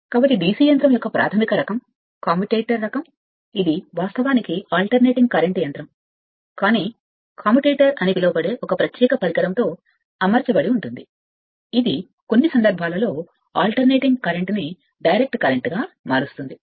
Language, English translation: Telugu, So, basic type of DC machine is that of commutator type, this is actually an your alternating current machine, but furnished with a special device that is called commutator which under certain conditions converts alternating current into direct current right